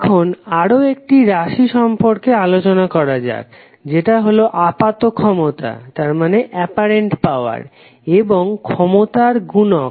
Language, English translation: Bengali, Now let’s talk about another term called apparent power and the power factor